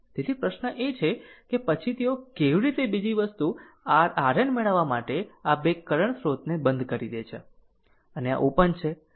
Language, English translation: Gujarati, So, question is that that what then how they ah another thing is to get the your R N this two current source turned off, and this is open right